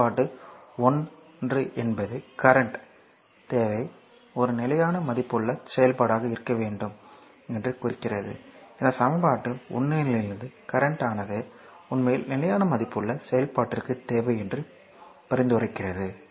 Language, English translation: Tamil, 2 right so; that means, equation 1 suggest that current need to be a constant valued function that means, here from this equation 1 it suggest that current actually need to the constant valued function right